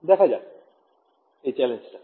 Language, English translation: Bengali, So, you see the challenge now